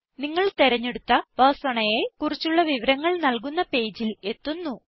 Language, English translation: Malayalam, This will take you to a page which gives details of the chosen Persona